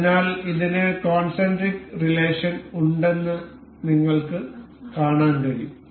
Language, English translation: Malayalam, So, you can see this has a concentric relation